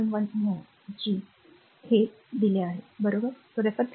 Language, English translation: Marathi, 1 mho G is given conductance is given, right